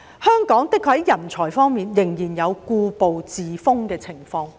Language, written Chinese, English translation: Cantonese, 香港在人才方面，的確仍然有故步自封的情況。, In this regard Hong Kong is still complacent with its conservative approach